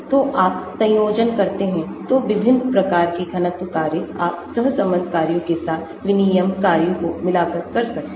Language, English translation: Hindi, so you combine, so different types of density functions, you can have by combining the exchange functions with the correlation functions